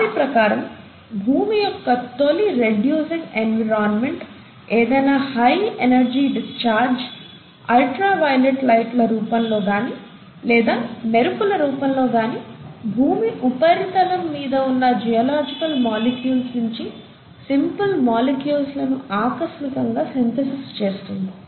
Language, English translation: Telugu, According to them, in that initial reducing environment of the earth, any high energy discharge, either in the form of ultra violet lights, or in the form of lightning would have favoured spontaneous synthesis of simple molecules from existing geological molecules on earth’s surface